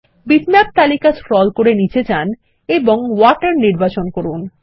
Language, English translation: Bengali, Scroll down the list of bitmaps and select Water